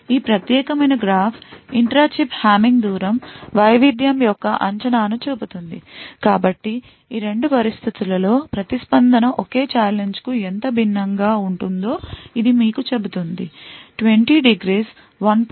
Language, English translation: Telugu, This particular graph shows the estimation of the intra chip Hamming distance variation, so it tells you how different each response looks for the same challenge under these 2 conditions; 20 degrees 1